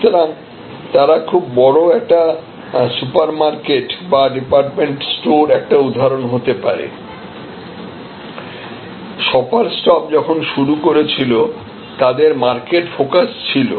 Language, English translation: Bengali, So, a very large supermarket or department store can be an example, shoppers stop when they started they were sort of market focused